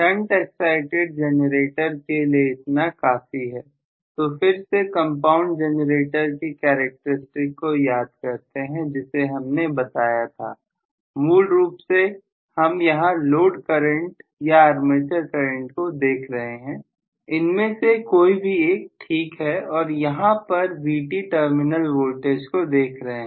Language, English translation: Hindi, So, so much so for shunt excited generator I will again recall the characteristics what we draw for the compound generator, so we said basically again we are looking at the load current or armature current either way is fine and I am looking at what is Vt the terminal voltage